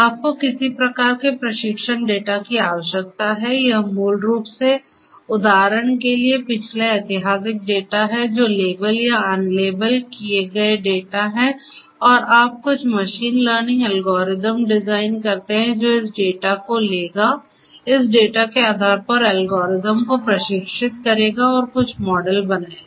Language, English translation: Hindi, You need some kind of training data this is basically the past historical data for instance which are labeled or unlabeled data and you design certain machine learning algorithms which will take this data, train the algorithms based on this data and will create certain models